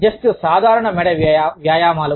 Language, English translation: Telugu, Just, plain neck exercises